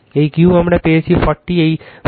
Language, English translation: Bengali, This Q we got is 40 right this 40